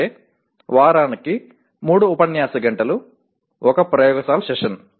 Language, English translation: Telugu, That is 3 lecture hours and 1 laboratory session per week